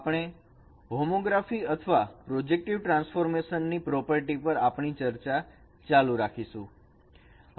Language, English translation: Gujarati, We will continue our discussion on the properties of homography or projective transformation